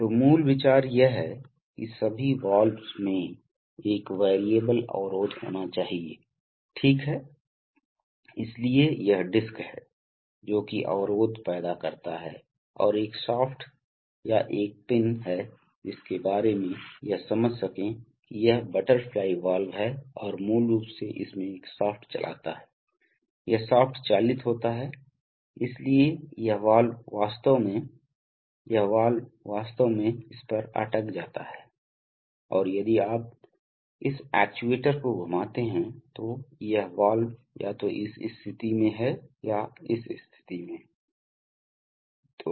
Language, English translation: Hindi, So basic idea is that, in all valves there has to be an, there has to be an variable obstruction, right, so it is this disk which is the, which creates the obstruction and there is a, there is a shaft or a pin about which, so you can understand that, you can understand that, this is, this is the butterfly valve and there is basically a shaft runs across it and this shaft is driven, so this valve is actually, this valve is actually stuck to this and if you rotate this actuator, that this valve can be either in this position or in this position